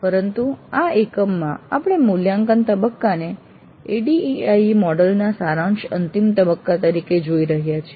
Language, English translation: Gujarati, But in this unit we are looking at the evaluate phase as the summative final phase of the ADD model